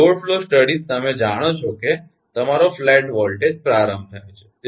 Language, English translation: Gujarati, so load flow studies, you know that your flat voltage start